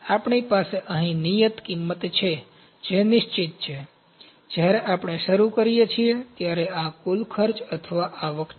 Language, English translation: Gujarati, We have fixed cost here, this is fixed cost that is fixed, when we start this is the total cost or revenue